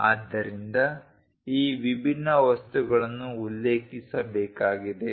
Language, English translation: Kannada, So, these different materials has to be mentioned